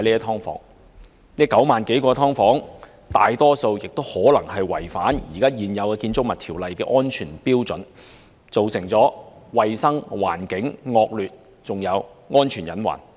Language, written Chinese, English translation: Cantonese, 在這9萬多個"劏房"中，大多數均可能違反現行《建築物條例》的安全標準，造成環境衞生惡劣的問題，並構成安全隱患。, Among these some 90 000 subdivided units the majority of them may violate the safety standards currently stipulated in the Buildings Ordinance BO thereby giving rise to poor environmental hygiene and posing safety hazards